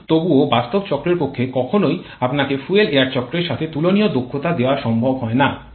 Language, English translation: Bengali, But in still it is never possible for the actual cycle to give you efficiency comparable to a fuel air cycle